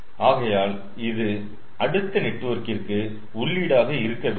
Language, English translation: Tamil, so this should be the input to the another network